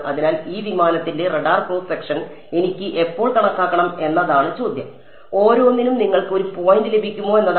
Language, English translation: Malayalam, So, question is when I want to calculate the radar cross section of this aircraft, will you get a point for each